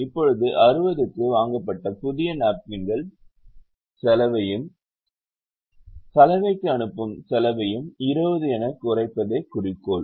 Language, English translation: Tamil, now the objective function is to minimize the cost of buying the new napkins, which are bought at sixty, and the cost of sending it to the laundry, the cost being twenty per napkin